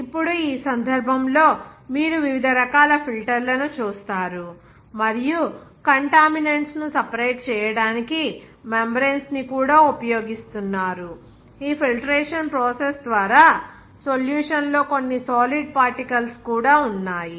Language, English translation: Telugu, Now this case you will see different types of filters and also membranes are being used for the separations of contaminants, even some solid particles in the solution by this filtration process